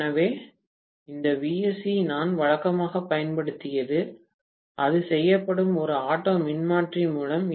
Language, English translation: Tamil, So, this Vsc what I applied normally done through, it will be done through an auto transformer